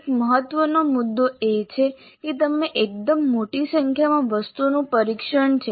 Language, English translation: Gujarati, So, one of the important points is that it is a fairly large number of test items